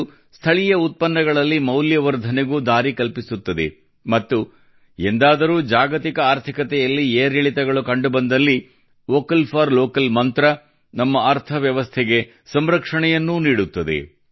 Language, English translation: Kannada, This also paves the way for Value Addition in local products, and if ever, there are ups and downs in the global economy, the mantra of Vocal For Local also protects our economy